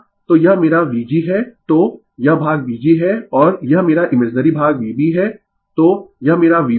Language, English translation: Hindi, So, this is my V g so, this portion is V g and this is my imaginary part V b so, this is my V b